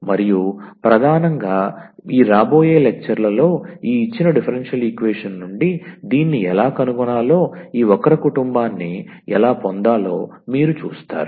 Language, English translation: Telugu, And mainly in this lectures upcoming lectures you will see actually how to find this from this given differential equation, how to get this family of curves